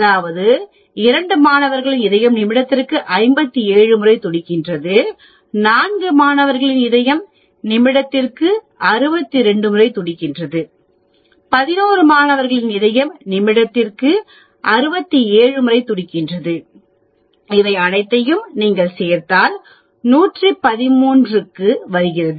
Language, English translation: Tamil, That is 2 students have 57 beats per minute, 4 students seems to have 62, 11 students seem to have 67 and so on, if you add up all these comes to 113